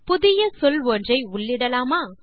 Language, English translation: Tamil, Shall we enter a new word